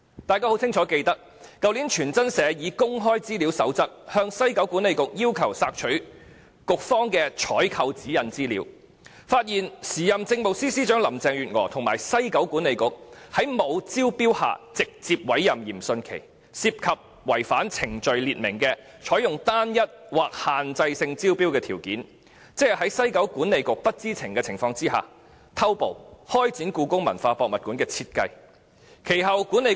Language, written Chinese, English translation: Cantonese, 大家清楚記得，去年傳真社根據《公開資料守則》向西九管理局索取局方的《採購指引》資料，其後發現時任政務司司長林鄭月娥和西九管理局在沒有招標的情況下直接委任嚴迅奇，涉及違反採購程序所訂的"採用單一或限制性招標的條件"，在西九管理局董事局不知情的情況下偷步開展故宮館的設計工作。, We all clearly recall that last year the FactWire News Agency asked WKCDA for information on its procurement guidelines under the Code on Access to Information . It was later revealed that Carrie LAM the then Chief Secretary for Administration and WKCDA had directly appointed Rocco YIM without going through any tender process . They had violated the criteria for determining when Restricted or Single tendering can be used as stipulated in the procurement procedures and jumped the gun to start the design process of HKPM without the knowledge of the WKCDA Board